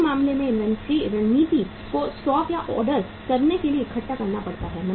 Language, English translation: Hindi, In that case the inventory strategy has to be make to stock or assemble to order